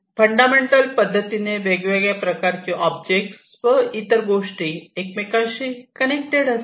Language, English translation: Marathi, Fundamentally, diversity of the different physical objects, the things that are connected